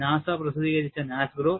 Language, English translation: Malayalam, One is by NASGRO, published by NASA